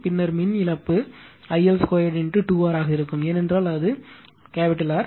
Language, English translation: Tamil, Then power loss will be I L square into 2 R, because here it is R, here it is R right